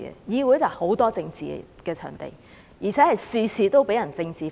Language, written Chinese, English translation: Cantonese, 議會不但是充滿政治的場地，而且事事被政治化。, The Council is a politics - ridden venue where every single issue is being politicized